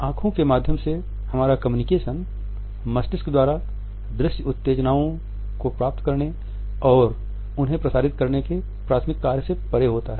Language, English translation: Hindi, Our communication through eyes goes beyond the primary function of receiving and transmitting visual stimuli to the brain